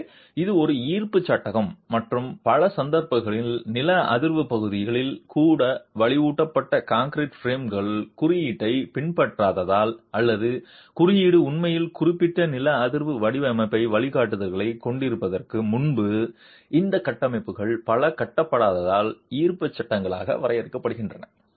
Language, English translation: Tamil, So, it's a gravity frame and in many cases reinforced concrete frames even in seismic areas are defined as gravity frames because of non adherence to the code or because many of these structures were constructed before the code actually had specific seismic design guidelines